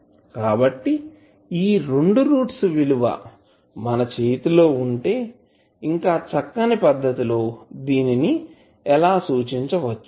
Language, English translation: Telugu, So, now you have these 2 roots in your hand then you can represent it in a more compact manner